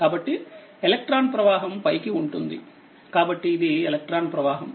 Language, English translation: Telugu, So, electron flow will be upwards So, this is that electron flow